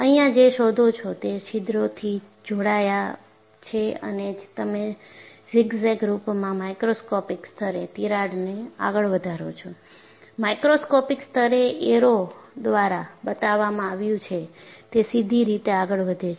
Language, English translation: Gujarati, And what do you find here is, the holes are joined and you find the crack proceeds, at a microscopic level in a zigzag fashion; and a macroscopic level, it is proceeding straight as what is shown by the arrow